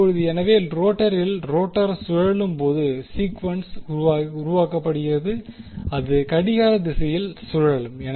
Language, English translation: Tamil, Now, so, sequence is produced when rotor is rotate in the rotor is rotating in the clockwise direction